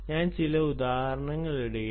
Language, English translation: Malayalam, i am just putting down some examples